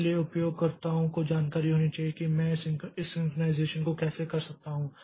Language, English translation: Hindi, So, users must be knowledgeable like how can I do this synchronization